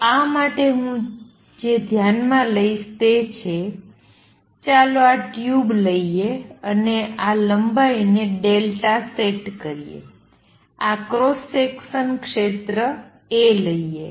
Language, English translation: Gujarati, So, for this what I will consider is let us take this tube and let this length be delta set and let this cross sectional area be a